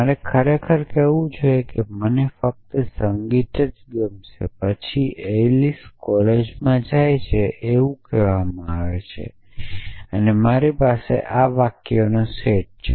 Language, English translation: Gujarati, So, I should really say I will just likes music then Alice goes to college that is say I have this set of sentences